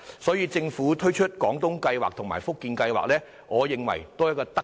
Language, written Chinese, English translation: Cantonese, 所以，政府推出"廣東計劃"和"福建計劃"，我認為也是一項德政。, I therefore consider it the Governments benevolent measure to introduce the Guangdong Scheme and the Fujian Scheme